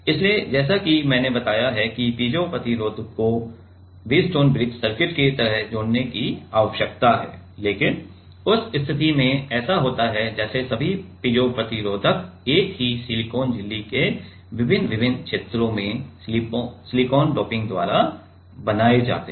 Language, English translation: Hindi, So, as I told that the piezo resistance need to be connected like a Wheatstone bridge circuit, but in that case like it happens is as all the piezo resistors are made by doping silicon in different different regions of the same silicon membrane